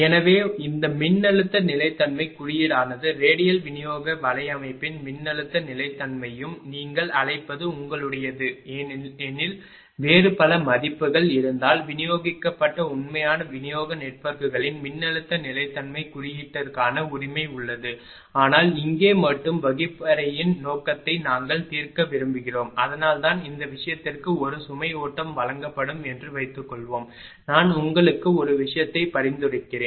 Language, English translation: Tamil, So, this voltage stability index that is voltage stability of radial distribution network and whether it is for a your what you call ah if you there are many many other versions are there for voltage stability index right of distributed real distribution networks, but here only as per the classroom purpose we want to solve that is why for this thing suppose a load flow will be given ah I I will suggest one thing to you